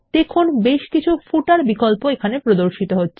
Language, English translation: Bengali, You can see several footer options are displayed here